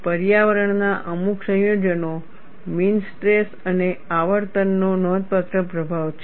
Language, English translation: Gujarati, Certain combinations of environment, mean stress and frequency have a significant influence